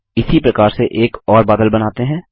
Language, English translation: Hindi, Let us create one more cloud in the same manner